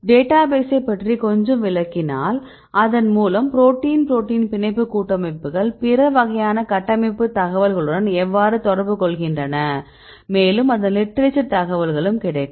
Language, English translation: Tamil, I will explain little bit about the database and this contains the binding affinity of protein protein complexes along with other different types of structural information as well as the literature information right